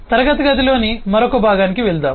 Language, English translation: Telugu, let us move on to the other part of the class